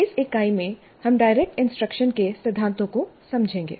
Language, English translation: Hindi, So in this unit, we'll understand the principles of direct instruction